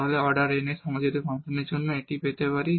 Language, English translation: Bengali, Therefore, this is a function of homogeneous function of order n